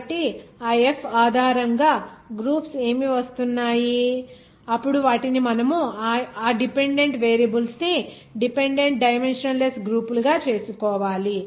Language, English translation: Telugu, So what are the groups are coming based on that F of then you have to make it those dependent variables dependent dimensionless groups